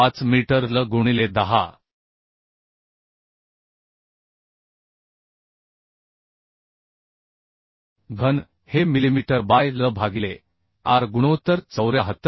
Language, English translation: Marathi, 5 meter L into 10 cube to make it millimetre by L by r ratio is 74